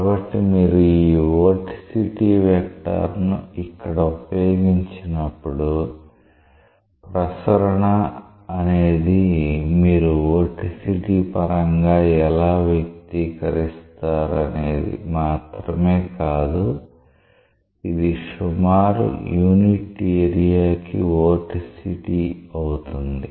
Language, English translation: Telugu, So, this Vorticity vector when you utilize this vorticity vector here, so the circulation is nothing but how you express it in terms of vorticity, it is just like roughly vorticity per unit area